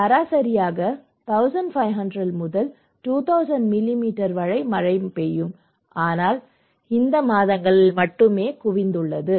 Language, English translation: Tamil, So they have average rainfall of 1500 to 2000 millimetre but concentrated only in these months